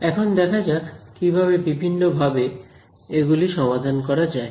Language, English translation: Bengali, So, now let us look at the different ways of solving them